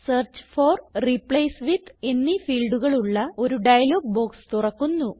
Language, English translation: Malayalam, You see a dialog box appears with a Search for and a Replace with field